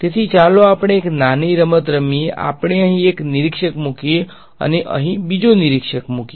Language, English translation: Gujarati, So, let us play a small game let us put one observer over here and there is another observer over here ok